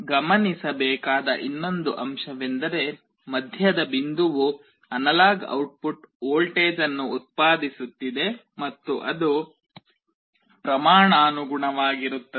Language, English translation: Kannada, The other point to note is that the middle point is generating an analog output voltage and it is proportional